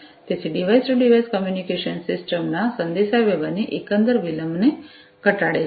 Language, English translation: Gujarati, So, device to device communication will cut down on the overall latency of communication in the system